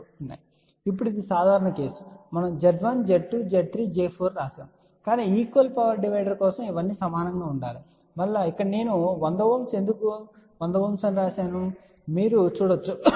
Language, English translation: Telugu, Now, this is a general case we have written Z1 Z 2 Z 3 Z 4, but for equal power divider these should all be equal and you can see here I have written here as a 100 ohm why 100 ohm